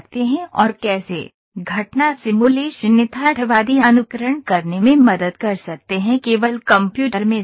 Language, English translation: Hindi, and how event simulation can help to simulate the realistic conditions in the computer only